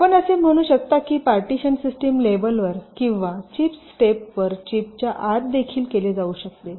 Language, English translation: Marathi, so you can say the partitioning can be done at the system level, at the board level, or even inside the chip, at the chip level